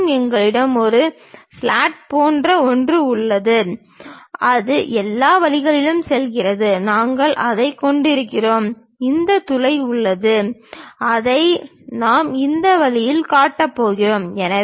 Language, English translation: Tamil, And, we have something like a slot which is going all the way down, we are having that and we have this hole which we are going to show it in this way